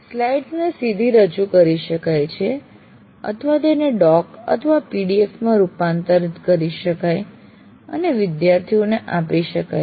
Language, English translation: Gujarati, The slides presented can also be converted into a doc or a PDF format and shared with the computer, with the students